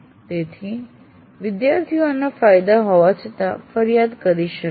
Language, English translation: Gujarati, So students may complain in spite of all the advantages of this